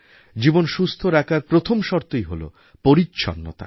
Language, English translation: Bengali, The first necessity for a healthy life is cleanliness